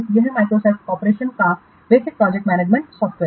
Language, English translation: Hindi, It is the basic project management software from Microsoft Corporation